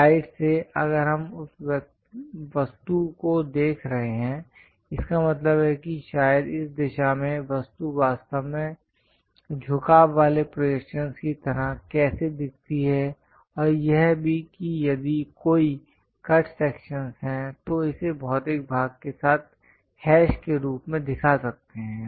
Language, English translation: Hindi, From side, if we are looking at that object, that means, perhaps in this direction, how the object really looks like inclined projections and also if there are any cut sections by showing it like a hash with material portion